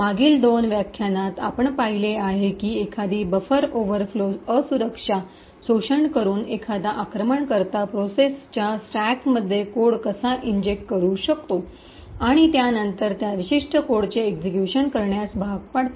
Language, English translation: Marathi, In the previous two lectures what we have seen was how an attacker could inject code in the stack of another process by exploiting a buffer overflow vulnerability and then force that particular code to execute